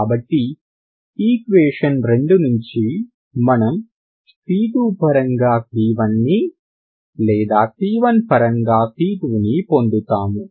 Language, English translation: Telugu, So from 2 you can get either c 1 in terms of c 2 or c 2 in terms of c 1, ok